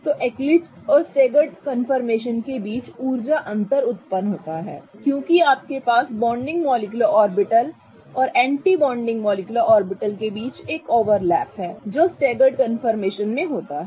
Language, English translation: Hindi, So, the energy difference between the eclipsed and the staggered conformation arises because you have an overlap between the bonding molecular orbital and the anti bonding molecular orbital that happens in the staggered confirmation